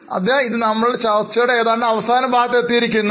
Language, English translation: Malayalam, So, this was almost the last part of our discussion